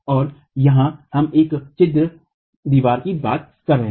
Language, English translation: Hindi, And here we are talking of a perforated wall